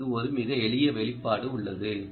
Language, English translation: Tamil, well, there is a very simple expression for that